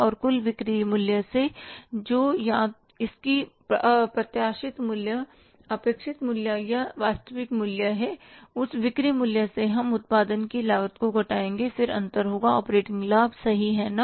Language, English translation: Hindi, And from the total sales value, either it is anticipated value, expected value or actual value, from that sales value, if we subtract the cost of production, then the difference is called as the operating profit, right